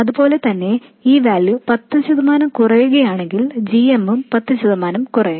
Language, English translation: Malayalam, And similarly, if this value is lower by 10%, the GM will also be lower by 10%, and so on